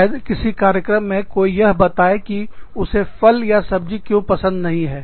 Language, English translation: Hindi, Maybe, in some program, somebody would say, why do not like, fruits and vegetables